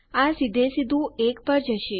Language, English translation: Gujarati, Itll go to 1 straight away